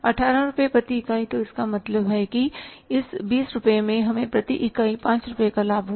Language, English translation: Hindi, So, it means in this 20 rupees we had a profit of how much 5 rupees per unit